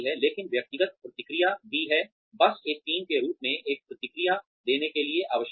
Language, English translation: Hindi, But, individual feedback is also, just as essential to give the team, a feedback, as a whole